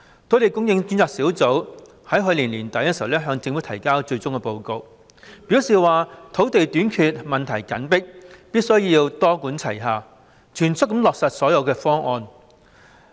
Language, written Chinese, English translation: Cantonese, 土地供應專責小組於去年年底向政府提交了最終報告，表示土地短缺問題緊迫，必須多管齊下，全速落實所有方案。, The Task Force on Land Supply submitted its final report to the Government at the end of last year . It points out the pressing problem of land shortage which requires a multi - pronged approach and the expeditious implementation of all proposals